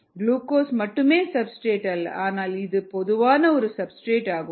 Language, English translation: Tamil, glucose is not the only substrates, but it's a very common substrates